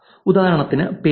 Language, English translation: Malayalam, For example, names